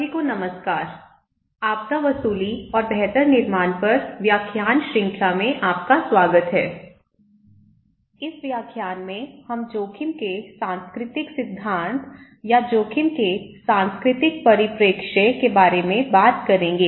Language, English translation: Hindi, Hello everyone, welcome to the lecture series on disaster recovery and build back better; this lecture we will talk about cultural theory of risk or cultural perspective of risk